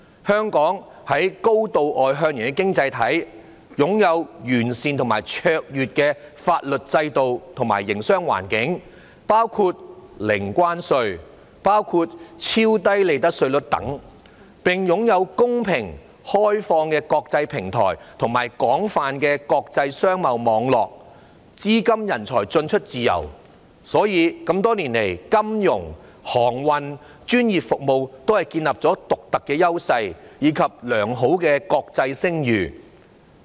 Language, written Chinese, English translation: Cantonese, 香港是高度外向型的經濟體，擁有完善而卓越的法律制度和營商環境，包括零關稅、超低利得稅率等，並擁有公平、開放的國際平台，以及廣泛的國際商貿網絡，資金人才進出自由，所以多年來在金融、航運、專業服務等方面也建立了獨特的優勢，以及良好的國際聲譽。, Hong Kong is a highly externally oriented economy with an excellent legal system and business environment including zero tariffs ultra - low profit tax rates etc . ; it possesses a fair and open international platform and an extensive international trade network and it allows the free flow of funds and people . As a result it has developed unique advantages and a good international reputation in finance shipping professional services etc